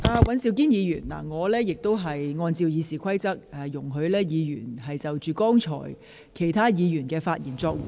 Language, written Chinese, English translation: Cantonese, 尹兆堅議員，我按照《議事規則》主持會議，容許議員就剛才其他議員的發言作回應。, Mr Andrew WAN I preside over the meeting in accordance with the Rules of Procedure thus allowing Members to respond to the speeches made earlier by other Members